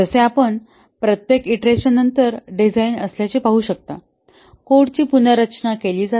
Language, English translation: Marathi, So here as you can see that the design after each iteration is after thought, the code is restructured